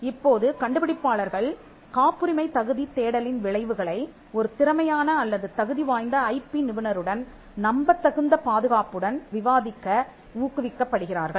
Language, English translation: Tamil, Now, the inventors are then encouraged to discuss in confidence the result of the patentability search with the qualified or a competent IP professional